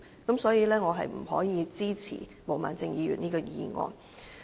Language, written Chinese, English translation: Cantonese, 因此，我不可以支持毛孟靜議員的議案。, I therefore cannot support the motion of Ms Claudia MO